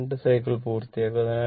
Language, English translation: Malayalam, It will complete 2 cycles right